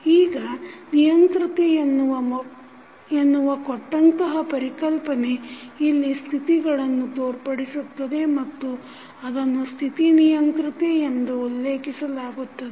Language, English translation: Kannada, Now, the concept of an controllability given here refers to the states and is referred to as state controllability